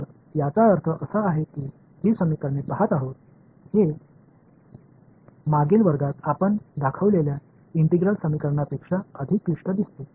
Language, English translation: Marathi, So, it I mean just looking at these equations, this looks much more complicated than the integral equation that we show in the previous class right